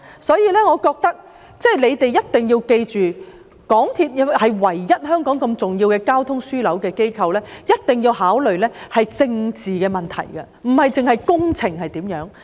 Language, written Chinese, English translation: Cantonese, 所以，我覺得當局一定要記着，港鐵公司是香港唯一一間重要的交通樞紐機構，一定要考慮政治的問題，不單是工程方面。, Therefore in my view the authorities should definitely bear in mind that as MTRCL is the only important transport hub operator in Hong Kong it is essential to consider political issues rather than just engineering problems